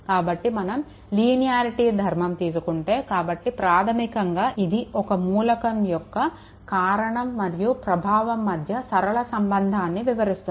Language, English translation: Telugu, So, whenever, we go for linearity property, so basically it is the property of an element describe a linear relationship between cause and effect